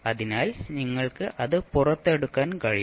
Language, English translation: Malayalam, So you can take it out